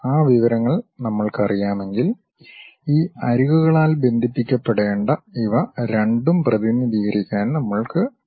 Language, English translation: Malayalam, If we know that information only we will be in a position to represent these two supposed to be connected by these edges